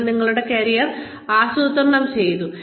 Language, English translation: Malayalam, You planned your career